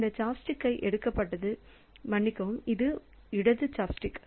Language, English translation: Tamil, So, this this chop stick is picked up, sorry, the left chopstick